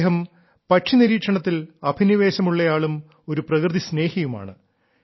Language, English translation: Malayalam, He is a passionate bird watcher and a nature lover